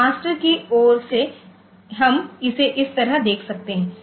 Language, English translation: Hindi, So, from the master side we can say it like